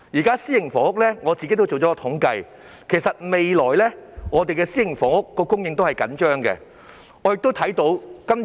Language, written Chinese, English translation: Cantonese, 就私營房屋而言，我已作統計，發現未來的私營房屋供應仍然緊張。, As far as private housing is concerned I have compiled statistics and found that private housing supply will still be tight in the future